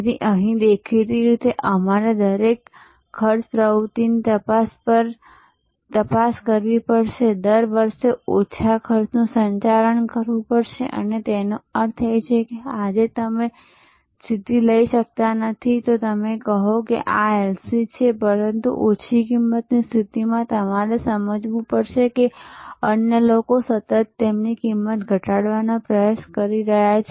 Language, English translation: Gujarati, So, here; obviously, we have to scrutinize each cost activity, manage each cost lower year after year; that means, it is not you cannot take a position today then say this is LC, but a Low Cost position, you have to understand that others are constantly trying to lower their cost